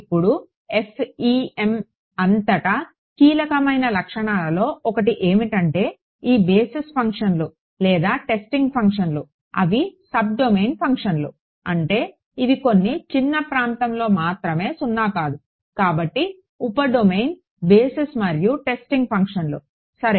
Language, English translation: Telugu, Now, throughout FEM one of the sort of key features is that these basis functions or testing functions they are sub domain functions; means, they are non zero only over some small region so, sub domain basis and testing functions ok